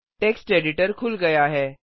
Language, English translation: Hindi, Now lets open the text editor